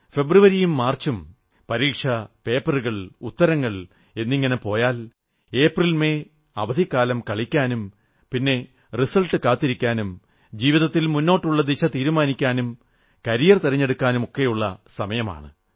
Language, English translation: Malayalam, Whereas February and March get consumed in exams, papers and answers, April & May are meant for enjoying vacations, followed by results and thereafter, shaping a course for one's life through career choices